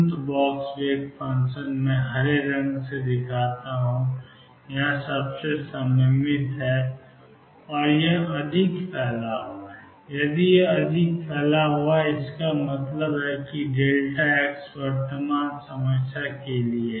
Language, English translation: Hindi, Infinite box wave function I show by green most confined here goes confined here, here this is more spread out if this is more spread out; that means, delta x for current problem